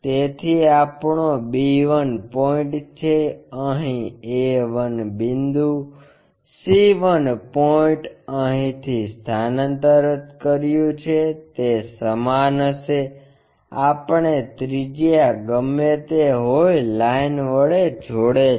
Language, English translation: Gujarati, So, our b 1 point is, a 1 point here, c 1 point will be the same by transferring from here, whatever the radius we have join this by lines